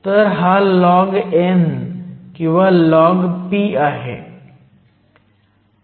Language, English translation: Marathi, So, this is log n or log p